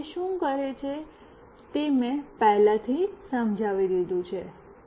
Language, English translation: Gujarati, And what it does I have already explained